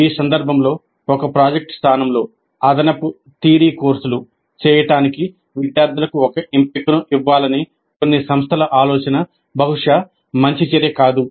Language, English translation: Telugu, In this context, the idea of some of the institutes to give an option to the students to do additional theory courses in place of a project probably is not a very good move